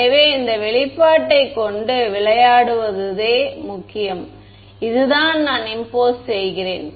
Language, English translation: Tamil, So, the key is to play around with this expression this is what I am imposing